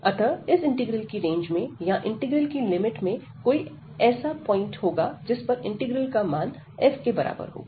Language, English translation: Hindi, So, there will be a point somewhere in this range or the limits of this integral, where the integral value will be equal to f